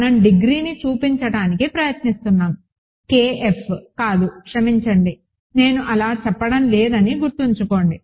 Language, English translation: Telugu, We are trying to show the degree of sorry not K F, remember I am not saying that